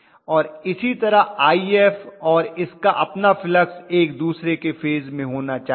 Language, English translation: Hindi, And similarly IF and its own flux should be in phase with each other